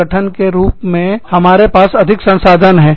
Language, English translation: Hindi, We have more resources, as the organization